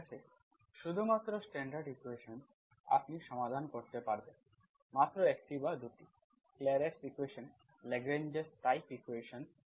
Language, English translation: Bengali, Okay, only standard equations you can solve, just one or 2, Clairot s equation, Lagrange s type equations